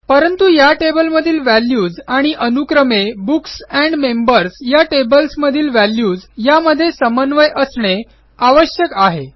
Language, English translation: Marathi, But, they will need to correspond to the same values as we have in the Books and Members tables respectively